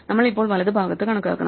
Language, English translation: Malayalam, So, we need to compute the right side